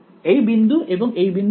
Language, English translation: Bengali, So, this point and this point is the same